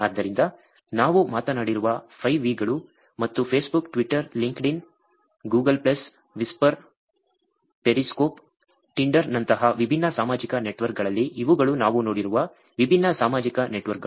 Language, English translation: Kannada, So, those are 5 V's that we talked about and in different social networks like Facebook, Twitter, Linkedin, Google plus, Whisper, Periscope, Tinder, these are the different social networks also we saw about